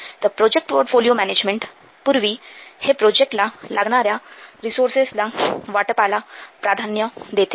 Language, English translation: Marathi, So, it will prior this project portfolio management, it will prioritize the allocation of resources to projects